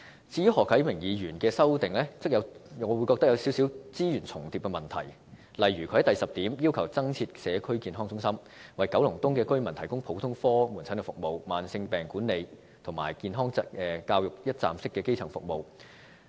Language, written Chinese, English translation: Cantonese, 至於何啟明議員的修正案，我則認為有少許資源重疊的問題，例如他在第十點要求增設社區健康中心，為九龍東居民提供普通科門診服務、慢性病管理及健康教育等一站式基層服務。, As to Mr HO Kai - mings amendment I consider that there is a minor issue of duplication of resources . For example in item 10 he requested the setting up of additional community health centres to provide residents of Kowloon East with one - stop primary services covering general outpatient services chronic disease management health education etc